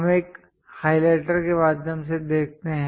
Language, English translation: Hindi, Let us look a through highlighter